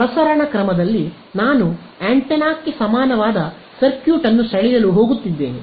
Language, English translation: Kannada, So, in the transmitting mode I am going to draw the circuit equivalent of antenna right